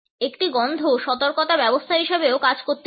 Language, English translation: Bengali, A smell can also act as a system of warning